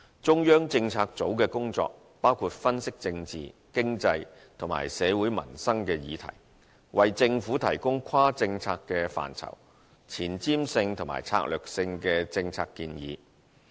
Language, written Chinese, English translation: Cantonese, 中策組的工作，包括分析政治、經濟，以及社會民生議題，為政府提供跨政策範疇、前瞻性與策略性的政策建議。, The duties of CPU include the analysis of political economic social and livelihood issues as well as the provision of policy advice which is cross policy areas forward looking and strategic to the Government